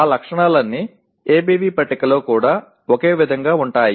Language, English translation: Telugu, All those features are the same in ABV table as well